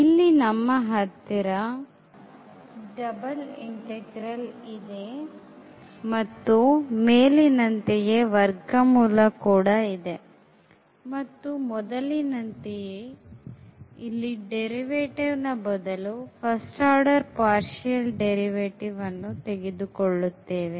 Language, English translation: Kannada, We have the double integral, we will discuss this what is the domain here now and the square root we will take 1 plus like similar to here we have the derivative here also we have the first order partial derivative